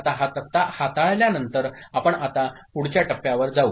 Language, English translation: Marathi, Now, with this table in hand ok, we now move to next step